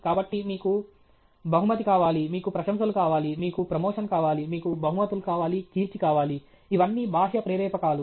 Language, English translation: Telugu, So, you want a reward, you want money you want praise, you want promotion, you want prizes, fame all these extrinsic motivators